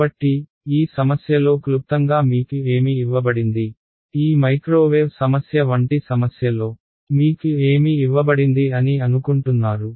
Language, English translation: Telugu, So, in short in this problem what is given to you, what all do you think is given to you in a problem like this microwave problem